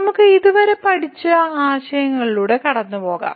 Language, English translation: Malayalam, So, let us go through the concepts covered